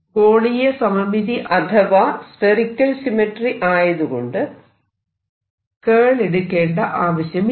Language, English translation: Malayalam, since everything is going to be spherically symmetric, there is no curl